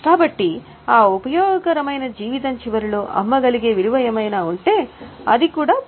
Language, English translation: Telugu, So, whatever is a value which is a sellable value at the end of that useful life, that will be also considered